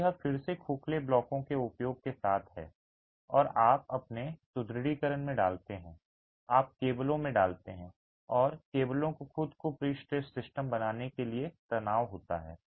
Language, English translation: Hindi, So, this is again with the use of hollow blocks, you put in your reinforced, you put in the cables and the cables are tensioned to create the pre stressed system itself